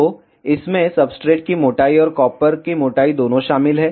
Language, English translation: Hindi, So, this contains the substrate thickness, and the thickness of both copper